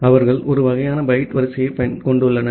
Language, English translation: Tamil, They have a kind of byte order